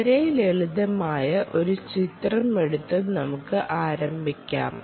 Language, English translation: Malayalam, let us start by taking a very simple picture